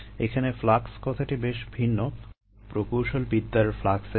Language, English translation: Bengali, the term flux is very different from the engineering term flux